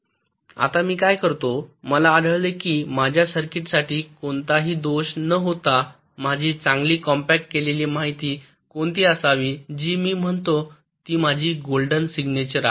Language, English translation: Marathi, i find out that for my circuit, without any fall, what should be my good compacted information, that i say this is my golden signature, this is my golden signature